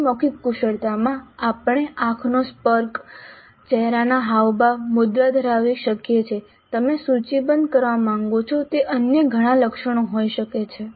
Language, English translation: Gujarati, So, in non verbal skills we could have eye contact, facial expressions, posture, there could be several other attributes that you wish to list